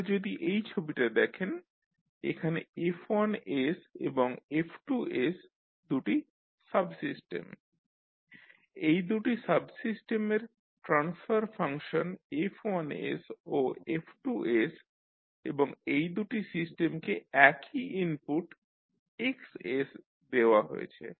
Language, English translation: Bengali, So, if you see this figure here F1s and F2s are the two subsystems, the transfer functions of these two subsystems are F1s and F2s and these two systems are given the same input that is Xs